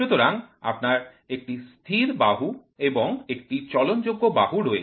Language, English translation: Bengali, So, you have a fixed jaw and a moving jaw